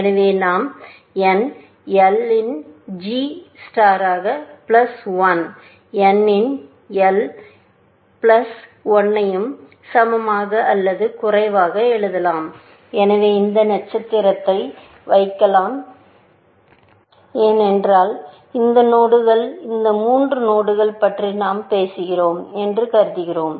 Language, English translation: Tamil, So, we can write g star of n l plus one plus h of n l plus one less than equal to; so, we can put this star, because we are assuming that these nodes, these three nodes that we are talking about